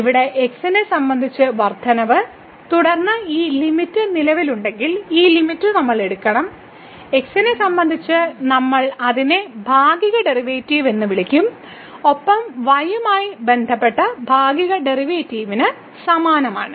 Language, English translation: Malayalam, So, here the increment with respect to x and then, this quotient we have to take the limit if this limit exists, we will call it partial derivative with respect to and same thing for the partial derivative of with respect to